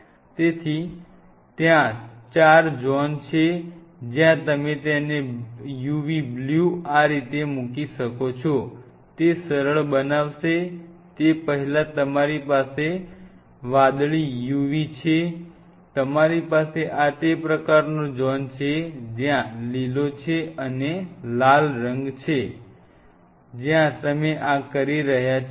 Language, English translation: Gujarati, So, there are four zones where can play away u v blue you have if you put it like this, it will make easy, you have blue uv before that, you have green you have red and you have far red, this is the kind of zone where you are playing this game